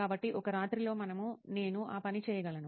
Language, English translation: Telugu, So in one night, we can, I can do that thing